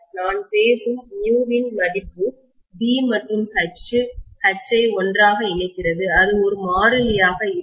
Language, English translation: Tamil, The mu value whatever I am talking about which is relating B and H together, that will not be a constant